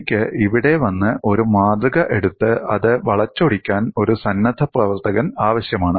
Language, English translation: Malayalam, I need a volunteer to come and take the specimen and then twist it